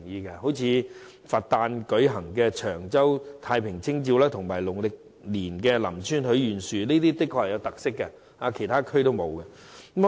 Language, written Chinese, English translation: Cantonese, 舉例而言，佛誕的長洲太平清醮及農曆年的林村許願樹均甚具特色，是其他地區所沒有的。, For example the Cheung Chau Bun Festival held on Buddhas Birthday and the ceremony of making a wish at the Wishing Tree in Lam Tsuen during Chinese New Year are unique features that cannot be found in other places